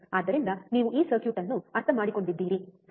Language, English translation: Kannada, So, you understand this circuit, right